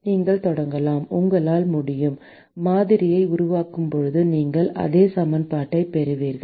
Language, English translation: Tamil, And you can start from you can you incorporate the assumptions while building the model you will get exactly the same equation